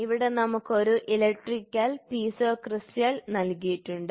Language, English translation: Malayalam, So, here we can see an electrical Piezo crystal is given